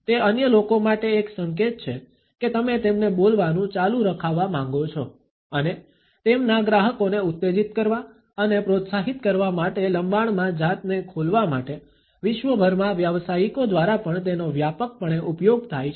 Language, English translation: Gujarati, It is also a signal to others that you want them to continue and it is also widely used by professionals, the world over to encourager and motivate their clients to self disclose at length